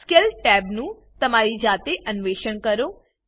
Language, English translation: Gujarati, Explore Scale tab on your own